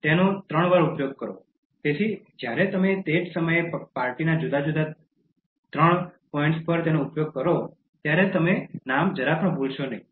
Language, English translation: Gujarati, Use it thrice, so when you use it three times in the same day during a party at three different meeting points, you will not forget the name at all